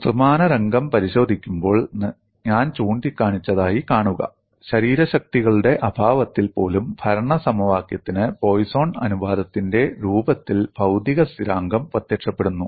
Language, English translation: Malayalam, See I had pointed out when we looked at a three dimensional scenario, even in the absence of body forces, the governing equation had a material constant appearing in the form of Poisson's ratio